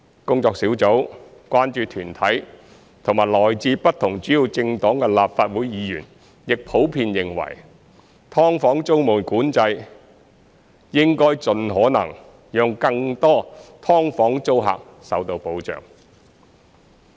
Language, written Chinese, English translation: Cantonese, 工作小組、關注團體和來自不同主要政黨的立法會議員亦普遍認為，"劏房"租務管制應盡可能讓更多"劏房"租客受到保障。, The Task Force concern groups and Members from different major political parties and groupings of the Legislative Council in general consider that tenancy control on subdivided units should protect as many tenants of subdivided units as possible